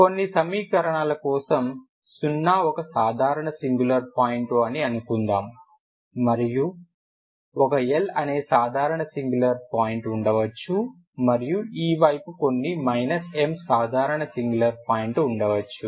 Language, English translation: Telugu, Suppose for certain equations 0is a regular singular point and there may be some l, l is a some l is a regular singular point and this side let us say some M is minus M is some regular singular point